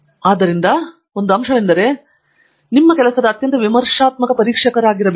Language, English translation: Kannada, So, one of the points that you should get accustom to is that, you have to be the most critical examiner of your work